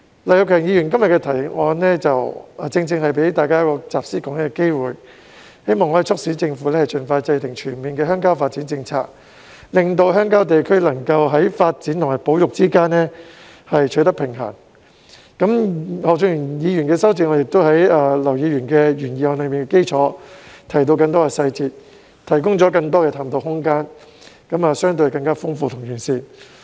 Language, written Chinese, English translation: Cantonese, 劉業強議員今天的議案正正給大家一個集思廣益的機會，希望可以促請政府盡快制訂全面的鄉郊發展政策，令鄉郊地區能夠在發展與保育之間取得平衡；而何俊賢議員的修正案亦在劉議員的原議案基礎上加入更多細節，提供更多的探討空間，相對更豐富和完善。, Mr Kenneth LAUs motion today has precisely offered Members an opportunity to put their heads together in the hope of urging the Government to expeditiously formulate a comprehensive rural development policy as a means to strike a balance between the development and conversation of rural areas . Mr Steven HOs amendment has added more details on the basis of Mr LAUs original motion . It has opened up more room for exploration and its contents are richer and relatively comprehensive